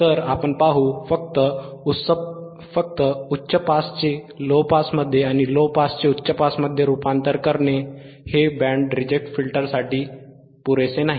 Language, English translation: Marathi, So, we will see, we will see, just by converting high pass to low pass and low pass to high pass, this is not enough for band reject;